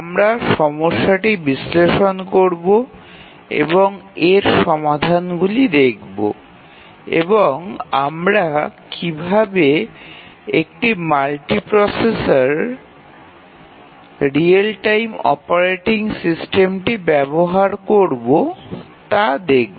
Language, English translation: Bengali, We will analyse the problem and see what the solutions are and then we will look at how do we use a real time operating system in a multiprocessor